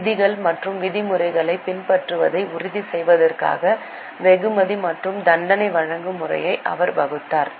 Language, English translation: Tamil, He devised a system of reward and punishment to ensure compliance of rules and regulation